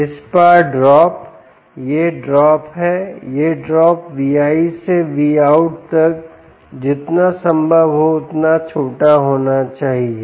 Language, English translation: Hindi, right, the drop across this this is the drop the drop across the v in to v out should be as small as possible